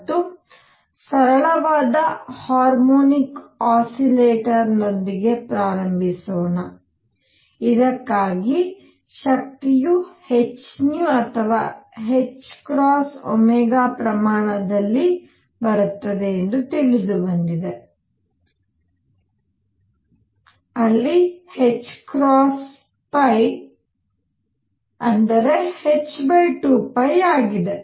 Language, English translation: Kannada, And let me start again with a simple harmonic oscillator for which I know that the energy comes in quantum of h nu or h cross omega, where h cross is h upon 2 pi